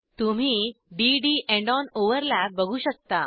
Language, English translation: Marathi, Observe d d end on overlap